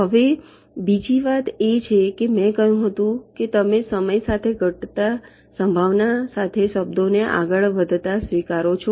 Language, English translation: Gujarati, ok, now the another thing is that i said that you accept the words moves with the probability that decreases with time